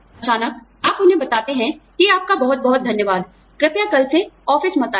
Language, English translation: Hindi, Suddenly, you tell them that, thank you very much, please do not come to the office, from tomorrow